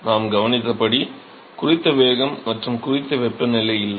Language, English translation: Tamil, So, we observed that, there is no reference velocity and there is no reference temperature